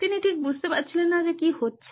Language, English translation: Bengali, He just did not understand what is going on